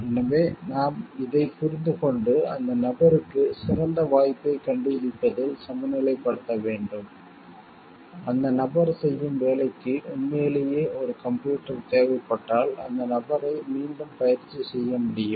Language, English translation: Tamil, So, we have to understand this and balance it with finding a better opportunity for the person, if truly computer is required for the job that the person was doing can were skill re trained that person